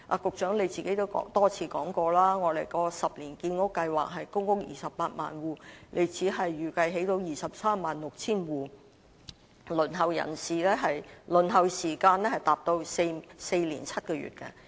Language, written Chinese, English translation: Cantonese, 局長也多次說過，我們的10年建屋計劃是興建公屋 280,000 戶，他預計只能興建 236,000 戶，輪候時間達到4年7個月。, As the Secretary has said many times while our 10 - year housing production target is to develop 280 000 PRH units he estimated that only 236 000 can be provided and the waiting time will increase to four years and seven months